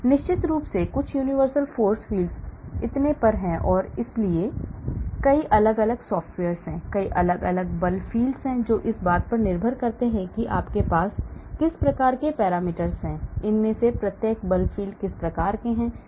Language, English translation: Hindi, And of course, there are some universal force fields and so on, and so there are many different software, many different force fields depending upon what type of parameters they have, what type of approximations each of these force fields have taken